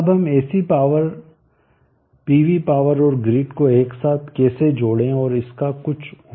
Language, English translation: Hindi, Now how do we inter connect such a PV power and the grid together and brings some use out of it